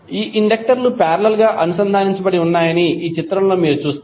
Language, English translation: Telugu, So in this figure you will see that these inductors are connected in parallel